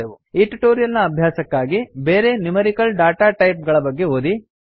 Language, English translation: Kannada, In this tutorial we have learnt about the various numerical datatypes